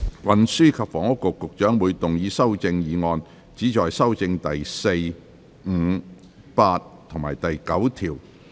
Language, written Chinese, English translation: Cantonese, 運輸及房屋局局長會動議修正案，旨在修正第4、5、8及9條。, The Secretary for Transport and Housing will move amendments which seek to amend clauses 4 5 8 and 9